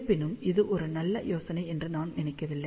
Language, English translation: Tamil, However, I do not think that is a very good idea